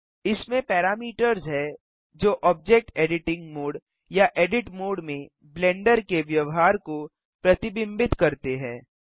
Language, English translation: Hindi, This contains parameters that reflect the behavior of Blender in Object editing mode or the Edit Mode